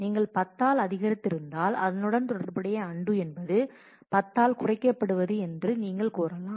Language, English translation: Tamil, If you have incremented by 10 then you can say that your corresponding undo is a decrement by 10